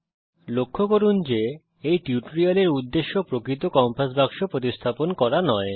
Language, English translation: Bengali, Please note that the intention to teach this tutorial is not to replace the actual compass box